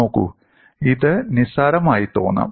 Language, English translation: Malayalam, See, it may appear trivial